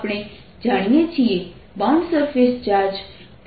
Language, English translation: Gujarati, we know bound surface charges are nothing but p